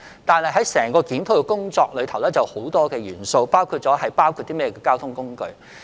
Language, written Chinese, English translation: Cantonese, 但是，檢討工作還有很多元素，包括納入甚麼交通工具。, However there are many other factors that have to be considered in the review including the modes of transport that should be covered by the scheme